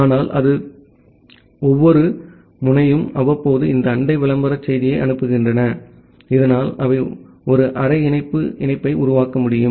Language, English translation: Tamil, But apart from that every node periodically send this neighbor advertisement message, so that they can formed a one half link connectivity